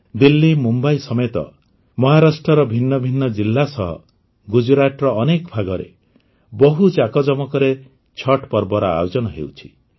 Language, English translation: Odia, Chhath is now getting organized on a large scale in different districts of Maharashtra along with Delhi, Mumbai and many parts of Gujarat